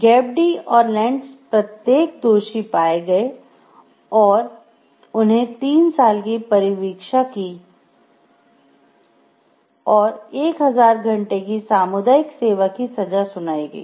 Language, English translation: Hindi, Gepp Dee and Lentz were each found guilty and sentenced to 3 years’ probation and 1000 hours of community service